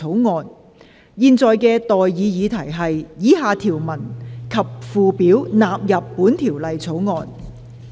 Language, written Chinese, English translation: Cantonese, 我現在向各位提出的待議議題是：以下條文及附表納入本條例草案。, I now propose the question to you and that is That the following clauses and schedule stand part of the Bill